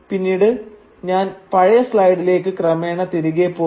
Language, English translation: Malayalam, And I will then be gradually backtracking to the earliest slides